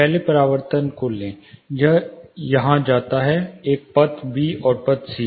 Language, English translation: Hindi, Take say first reflection say one it goes here path a, path b, and path c